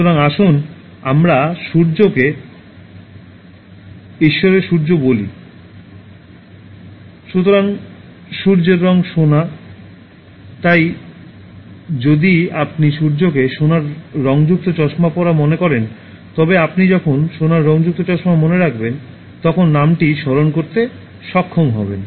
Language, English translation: Bengali, So, let us say Surya of Sun God, so the color of Sun is gold, so if you remember Surya wearing a gold tinted spectacles, so you will be able to remember the name as and when you remember gold tinted spectacles